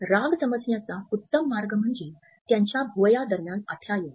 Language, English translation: Marathi, The best way to read anger and someone else is to look for vertical lines between their eyebrows